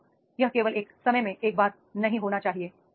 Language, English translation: Hindi, Second is it should not be only once in a time